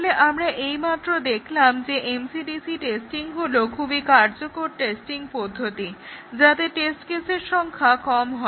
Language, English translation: Bengali, So, we just saw that MCDC testing is a very effective testing technique with a small number of test cases